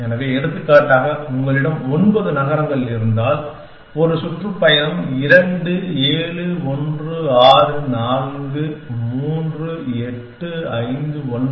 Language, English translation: Tamil, So, for example, if you have nine cities then, a tour could be something like 2 7 1 6 4 3 8 5 9